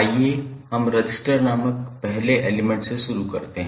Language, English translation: Hindi, So let start with the first element called resistor